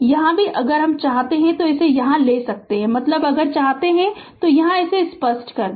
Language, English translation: Hindi, Here also if you want here also you can take right I mean if you want let me clear it